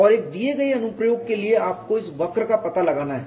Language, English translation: Hindi, And this curve you have to find out for a given application